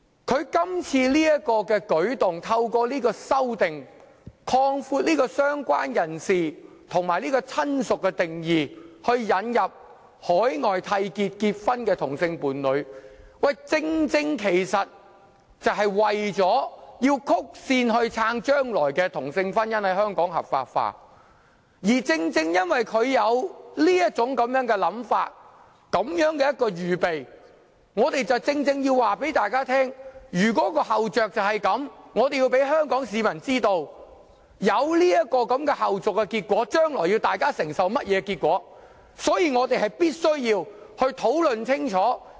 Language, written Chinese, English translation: Cantonese, 他今次的舉措旨在透過相關修正案擴闊"相關人士"和"親屬"的定義，以引入在海外締結婚姻的同性伴侶，其實正正為了曲線支持同性婚姻日後在香港合法化，而正正因為他這種想法和這種準備工夫，我們確實要告訴大家他有此後着，亦要告知香港市民將會出現這種後續的結果，以及大家將來要承受的結果，所以我們必須討論清楚。, By making such a move this time around he seeks to expand the definitions of related person and relative through these amendments so that same - sex partners in marriages contracted overseas may be covered with an actual attempt to help pave the way for future legalization of same - sex marriage in Hong Kong indirectly . And it is precisely because of his intention and preparations that it is imperative for us to inform Members of his hidden agenda . Also we have to tell the Hong Kong public what will ensue from this and the consequences we have to bear in the future